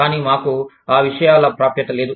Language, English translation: Telugu, But, we did not have access, to those things